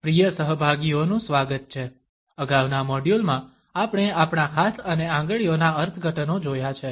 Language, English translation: Gujarati, Welcome dear participants, in the prior modules we have looked at the interpretations of our hands and fingers